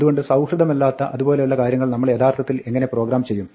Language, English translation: Malayalam, So, how would you actually program something as unfriendly as that